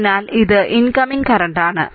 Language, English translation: Malayalam, So, it is your incoming current